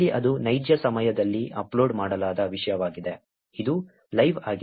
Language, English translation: Kannada, Here it is something that is uploaded in real time; it is live